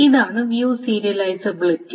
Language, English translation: Malayalam, So that's the notion of view serializability